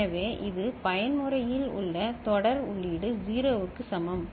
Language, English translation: Tamil, So, this is the serial input in for mode is equal to 0 ok